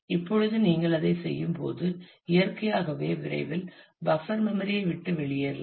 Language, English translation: Tamil, Now as you keep on doing that, naturally soon you will run out of the buffer memory